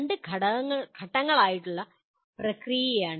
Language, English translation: Malayalam, There are two step process